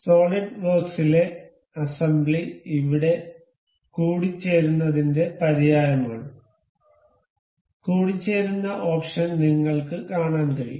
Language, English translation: Malayalam, The assembly in this in solidworks is synonymous to mate here; mate option you can see